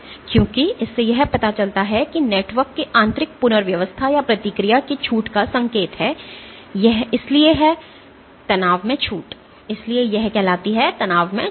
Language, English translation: Hindi, Because this suggests this is indicative of internal rearrangements of the network or relaxation of the respond, hence the term stress relaxation